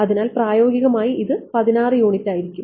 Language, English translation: Malayalam, So, in practice it is going to be 16 units right